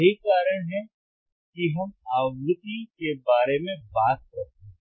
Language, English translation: Hindi, That is why we talk about frequency, frequency, frequency